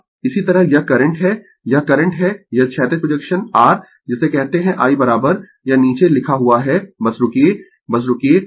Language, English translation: Hindi, Similarly, this is the current this is the current this horizontal projection your what you call I is equal to it is written at the bottom just hold on just hold on